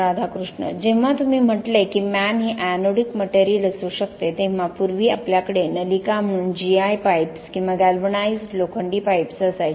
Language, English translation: Marathi, When you said sheath itself could be anodic material, earlier we used to have G I pipes or galvanized iron pipes as the ducts